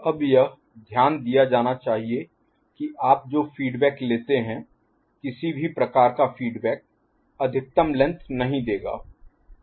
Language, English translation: Hindi, Now, it is to be noted that the feedback that you take any kind of feedback will not give maximal length, ok